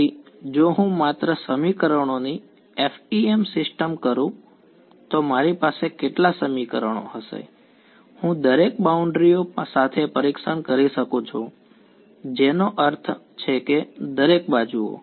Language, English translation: Gujarati, So, if I just do the FEM system of equations I will have how many equations; I can test along each of the boundaries I mean each of the edges